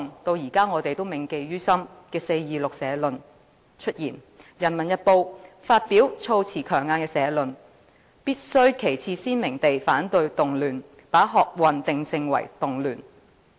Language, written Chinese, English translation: Cantonese, 及後出現我們至今仍然銘記於心的"四二六社論"，就是人民日報發表措辭強硬的社論——"必須旗幟鮮明地反對動亂"，把學運定性為動亂。, After that came the 26 April editorial a strongly worded editorial titled to the effect that It is necessary to take a clear - cut stand against disturbances was issued by the Peoples Daily branding the student movement a disturbance